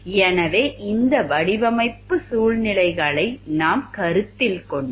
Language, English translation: Tamil, So, if we consider these design situations